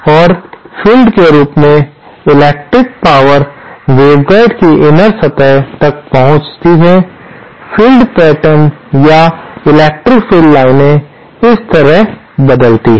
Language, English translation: Hindi, And as the fields, electric power reaches the inner surface of the waveguide, the field pattern or the electric field lines change like this